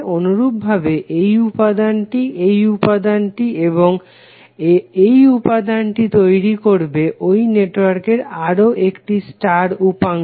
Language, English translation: Bengali, Similarly, this element, this element and again this element will create another star subsection of the network